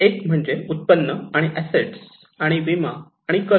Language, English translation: Marathi, One is the income and assets and insurance and debts